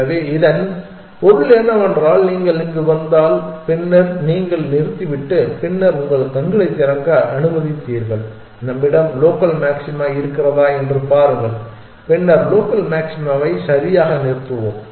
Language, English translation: Tamil, So, this means that if you reach here and then you terminate and then you allowed to open your eyes and see if we have a local maxima then we will stopped the local maxima exactly how will that will ever reached the global maxima exactly